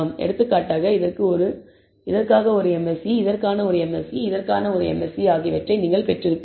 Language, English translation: Tamil, for example, you would have got a MSE for this, MSE for this, MSE for this